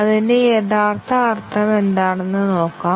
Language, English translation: Malayalam, Let see what it really means